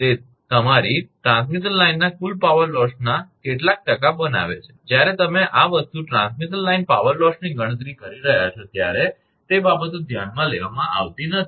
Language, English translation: Gujarati, It makes your some percentage of the total power loss of the transmission line, when you are calculating transmission line power loss this thing, those things are not considered